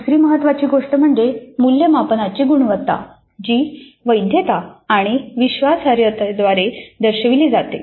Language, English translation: Marathi, And another important thing is the quality of the assessment which is characterized by validity and reliability